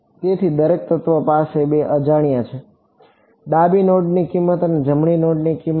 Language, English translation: Gujarati, So, every element has two unknowns, the left node value and the right node value